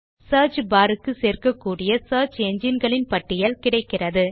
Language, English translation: Tamil, It displays a number of search engines that we can add to the search bar